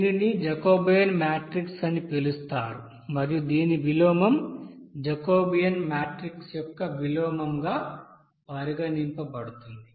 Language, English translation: Telugu, So it will be So and this is called Jacobian matrix and inverse of this it will be regarded as inverse of Jacobian matrix